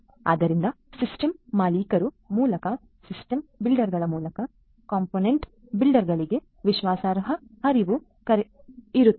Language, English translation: Kannada, So, trust flow flowing through the system owner through the system builders to the component builders